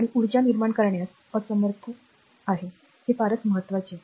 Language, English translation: Marathi, And it is incapable of generating energy, this is very important for you